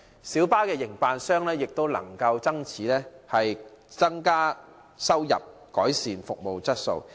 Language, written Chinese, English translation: Cantonese, 小巴的營辦商也能因此增加收入，有望改善服務質素。, Consequently light bus operators may also increase their income and hopefully they will improve service quality